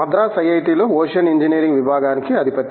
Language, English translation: Telugu, He is the head of Department of Ocean Engineering here at IIT, Madras